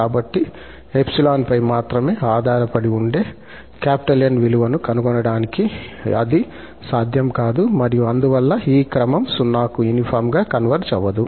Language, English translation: Telugu, So, hence it is not possible to find this N which depends only on epsilon and therefore the sequence does not converge uniformly to 0